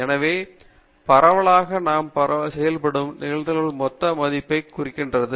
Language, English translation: Tamil, So, the cumulative distribution function is referring to the sum of the probabilities